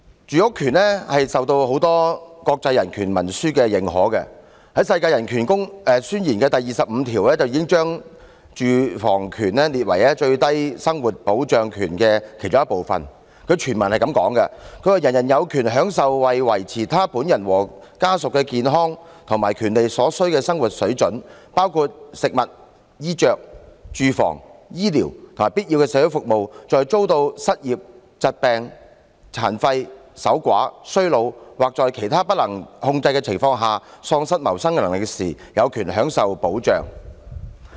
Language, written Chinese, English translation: Cantonese, 住屋權受到很多國際人權文書的認可，《世界人權宣言》第二十五條已將住屋權列為最低生活保障權的其中一部分，全文是這樣寫的："人人有權享受為維持他本人和家屬的健康和福利所需的生活水準，包括食物、衣着、住房、醫療和必要的社會服務；在遭到失業、疾病、殘廢、守寡、衰老或在其他不能控制的情況下喪失謀生能力時，有權享受保障。, The housing right is recognized by many international human rights instruments . Article 25 of the Universal Declaration of Human Rights has enshrined the housing right as part of the right to an adequate standard of living . The whole text reads as follows Everyone has the right to a standard of living adequate for the health and well - being of himself and of his family including food clothing housing and medical care and necessary social services and the right to security in the event of unemployment sickness disability widowhood old age or other lack of livelihood in circumstances beyond his control